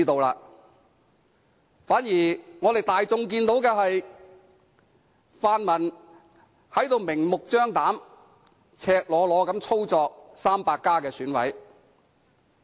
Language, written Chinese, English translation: Cantonese, 相反，大家都看到，泛民明目張膽、赤裸裸地操作"民主 300+" 的選委。, On the contrary we have seen how the pan - democrats have blatantly and starkly manipulated EC members belonging to the Democrats 300